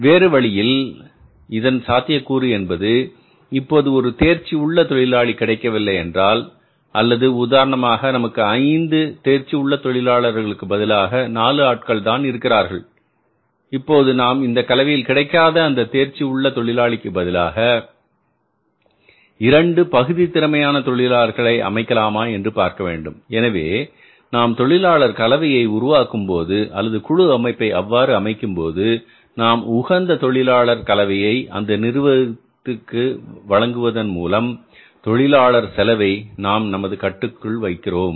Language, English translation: Tamil, Other way around it may be possible that if one skilled worker is not easily available or for example you require five skilled workers only four are available so we may think about that can miss non availability of a skilled person be replaced by the two semi skilled person that has to be seen so we have to create a labour composition or the labour mix or the gang composition in such a manner that we are means going to create a optimum mix of the labourers or the gang composition in such a manner that we are going to create an optimum mix of the laborers or the workers in the organization and the cost of the labor is within the control